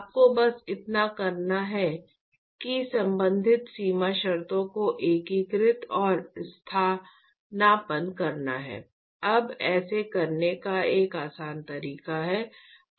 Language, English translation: Hindi, All you have to do is just integrate and substitute the corresponding boundary conditions now a simpler way to do this